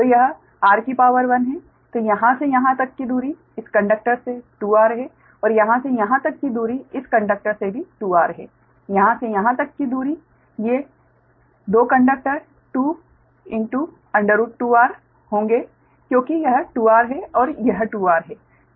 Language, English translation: Hindi, then distance from here to here, this conductor is also two r, and distance from here to here, these two conductors, it will be two root, two r, because this is two r, this is two r